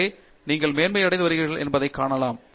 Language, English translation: Tamil, So, you can see that you are gaining Mastery